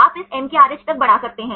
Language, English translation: Hindi, You can extend up to this MKRH